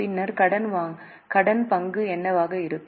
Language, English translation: Tamil, Then what will be the debt equity